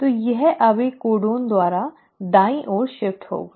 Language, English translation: Hindi, So this now will shift by one codon to the right